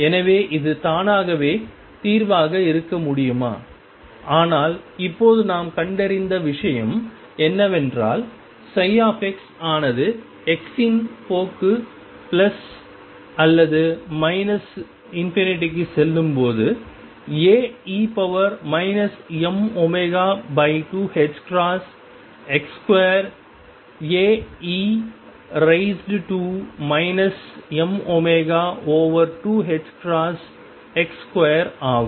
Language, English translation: Tamil, So, could this be the solution by itself, but right now what we have found is that psi x as x tends to plus or minus infinity goes as A e raised to minus m omega over 2 h cross x square